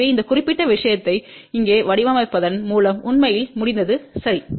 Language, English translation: Tamil, So, by putting this particular thing here the design is actually complete, ok